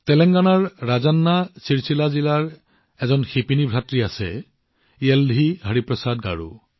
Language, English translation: Assamese, There is a weaver brother in Rajanna Sircilla district of Telangana YeldhiHariprasad Garu